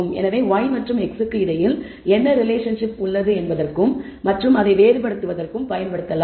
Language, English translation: Tamil, So, that can be used to distinguish maybe to look for the kind of relationship between y and x